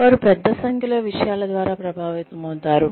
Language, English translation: Telugu, They could be influenced by a large number of things